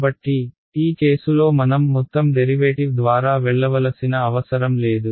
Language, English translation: Telugu, So, in this case maybe we do not need to go through the entire derivation